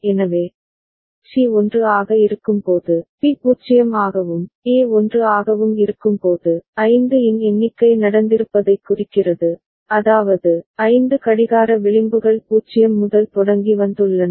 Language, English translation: Tamil, So, when C is 1, B is 0, and A is 1, right that indicates that a count of 5 has taken place, that means, five clock edges have come starting from 0